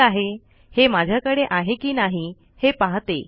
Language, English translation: Marathi, Okay let me see if I have this here